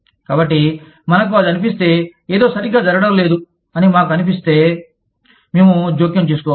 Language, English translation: Telugu, So, if we feel that, something is not going right, we can intervene